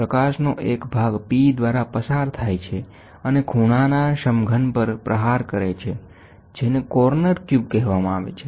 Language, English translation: Gujarati, A portion of the light passes through P and strikes the corner cube, this is called as a corner cube